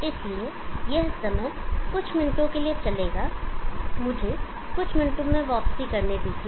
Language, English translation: Hindi, So it will run for some time few minutes, let me comeback in a few minutes